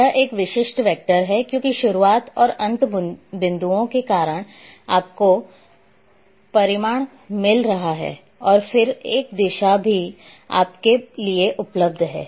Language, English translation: Hindi, This is typical vector, because of begin and end points you are having the magnitude and then a direction is also available to you